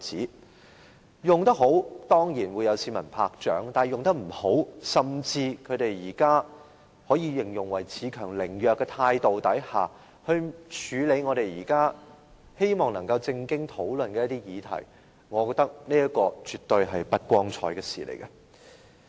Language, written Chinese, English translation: Cantonese, 如果能善用這一點，當然會有市民鼓掌，否則在有如現時這般可形容為恃強凌弱的態度下，處理議員希望能認真討論的議題，我認為是絕不光彩的事情。, Pro - establishment Members will of course win the applause from the people if they can make good use of their advantage in this respect but I consider it most undignified to adopt the present attitude of playing the bully to handle issues which some Members want to discuss seriously